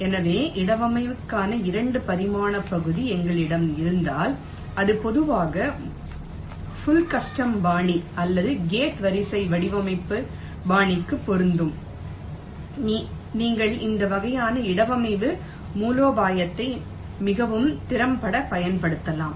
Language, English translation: Tamil, ok, so if we have a two dimensional area for placement, which is typically the case for a full custom design style or a gate array design style, then you can use this kind of a placement strategy very effectively